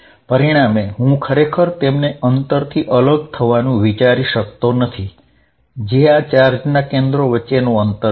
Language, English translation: Gujarati, As a result I cannot really think of them being separated by distance which is the distance between the centers of this charge